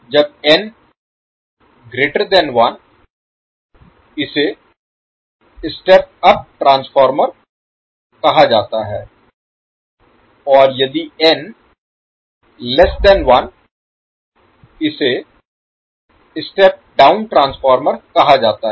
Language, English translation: Hindi, When N greater than one it means that the we have the step of transformer and when N is less than one it is called step down transformer